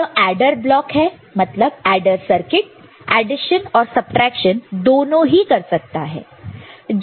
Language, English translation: Hindi, So, adder block adder circuit can perform both the job of addition as well as subtraction right